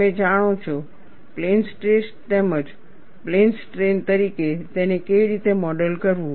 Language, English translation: Gujarati, You know, these are different ways of looking at, how to model it as plane stress, or, as well as plane strain